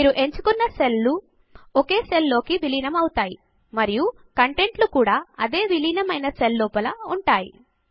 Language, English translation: Telugu, You see that the selected cells get merged into one and the contents are also within the same merged cell